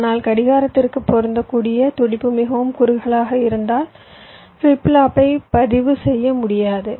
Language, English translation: Tamil, but what if the pulse that is apply to clock is so narrow that the flip flop is not able to register